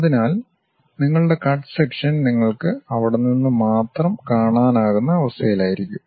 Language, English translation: Malayalam, So, your cut section you will be in a position to see only from there